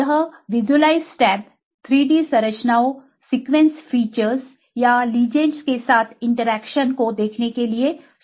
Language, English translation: Hindi, This visualized tab gives software to view the 3 D structures, sequence features or interactions with ligands